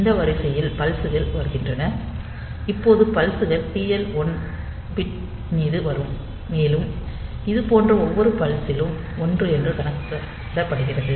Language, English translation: Tamil, So, pulses will be coming on this line so, and now the pulses will be coming like this on the TL 1 pin and on each such pulse is counted as a 1